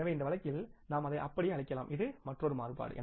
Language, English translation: Tamil, So in this case you can call it as that this is another variance